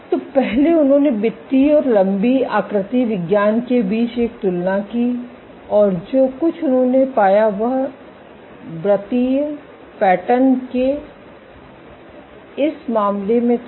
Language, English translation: Hindi, So, first they did a comparison between circular and elongated morphologies, and what they found was in this case of circular patterns